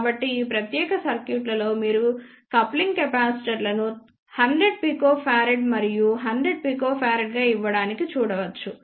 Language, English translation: Telugu, So, in this particular circuit you can see the coupling capacitors are given as 100 picofarad and 100 picofarad